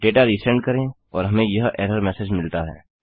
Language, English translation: Hindi, Resend the data and we get this error message